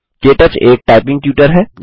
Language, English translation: Hindi, KTouch is a typing tutor